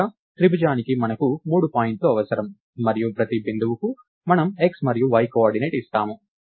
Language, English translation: Telugu, And finally, for the triangle will we need three points and for each point we give the x and y coordinate